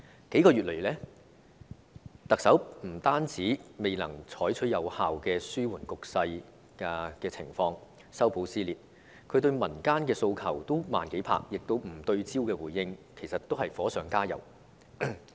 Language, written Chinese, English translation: Cantonese, 這數個月以來，特首不單未能有效緩和局勢、修補撕裂，她對民間的訴求也是"慢幾拍"，加上不對焦的回應，其實都是火上加油。, In the past several months not only was the Chief Executive unable to effectively mitigate the situation and mend ties but her response to the aspirations in society was also slow by several beats coupled with her response failing to focus on the point at issue and so what she did was to make things worse